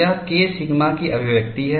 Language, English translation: Hindi, And what is K sigma